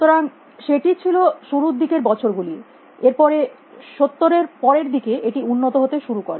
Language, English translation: Bengali, So, that was a initial years then in the latest 70 is the started making progress